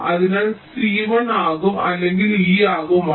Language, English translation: Malayalam, so c will be one or e will be one